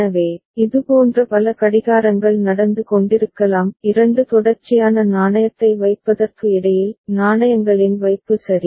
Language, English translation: Tamil, So, there may be many such clocks going on by between two successive depositing of coin ok; deposit of coins ok